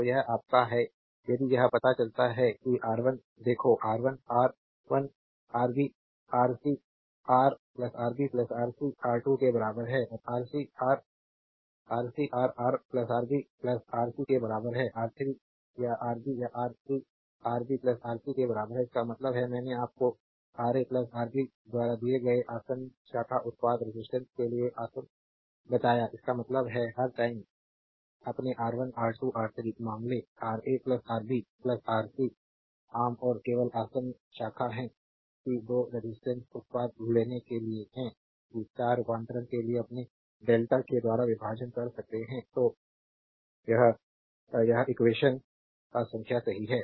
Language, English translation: Hindi, So, this is your if you go to that the derivation that R 1 look R 1 is equal to Rb, Rc, Ra plus Rb plus Rc R 2 is equal to Rc Ra ra plus Rb plus Rc; R 3 is equal to Ra Rb Ra plus Rb plus rc; that means, I told you the adjacent for adjacent branch product resistance given it by Ra plus Rb; that means, all the time your R 1, R 2, R 3 case are division by Ra plus Rb plus Rc common and only adjacent branch that 2 resistance product you have to take that is your delta to star conversion right delta to star conversion